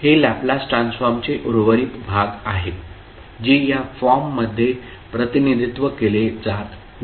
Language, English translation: Marathi, So, this is the reminder of the, the Laplace Transform, which is not represented in this particular form